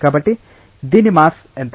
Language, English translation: Telugu, So, what is the mass of this